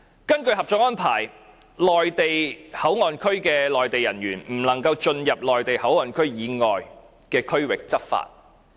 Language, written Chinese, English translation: Cantonese, 根據《合作安排》，內地口岸區的內地人員不能進入內地口岸區以外的區域執法。, According to the Co - operation Arrangement Mainland personnel at MPA cannot enter areas outside MPA to enforce laws